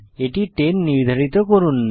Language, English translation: Bengali, Assign 10 to it